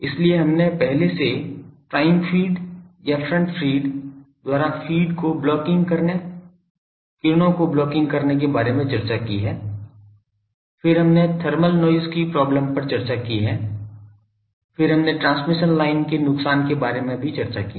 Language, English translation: Hindi, So, we have already discussed about blocking, blocking of rays by the feed by the front fed feed or prime feed, then we have discussed the thermal noise problem, then we have discussed about the transmission line loss